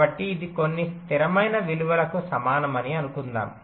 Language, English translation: Telugu, so let say it is equal to some ah constant